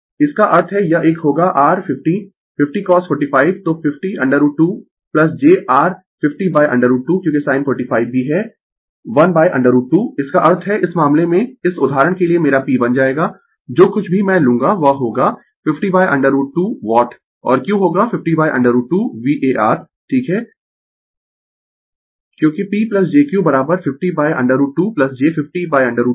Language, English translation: Hindi, That means this one will be your 50 50 cos 45 so 50 by root 2 plus j your 50 by root 2 because sin 45 is also 1 by root 2; that means, my P will become in this case for this example whatever I take it will be 50 by root 2 watt and Q will be 50 by root 2 var right because P plus jQ is equal to 50 by root 2 plus j 50 by root 2